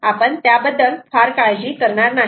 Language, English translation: Marathi, we will not worry so much about all of that